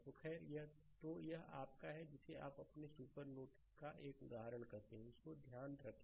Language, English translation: Hindi, So, anyway; so, this is your what you call ah that one example of your supernode, right just hold on